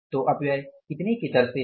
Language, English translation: Hindi, So, wasteage is at the rate of how much